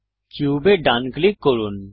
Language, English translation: Bengali, Right click on the cube